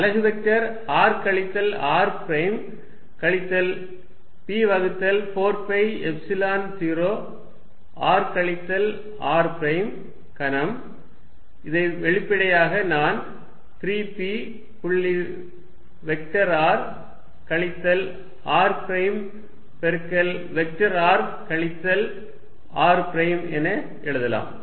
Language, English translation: Tamil, Unit vector r minus r prime minus p divided by 4 pi Epsilon 0 r minus r prime cubed, which explicitly I can also write as 3 p dot vector r minus r prime multiplied by vector r minus r prime